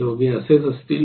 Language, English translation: Marathi, Both are existing